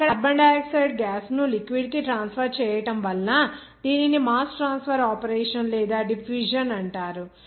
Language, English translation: Telugu, There, transfer of carbon dioxide gas to the liquid so this is called mass transfer operation or diffusion you will see that diffusion process